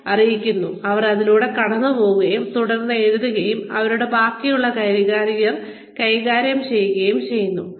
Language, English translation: Malayalam, Who then, go through them, and then write down, and manage the rest of their careers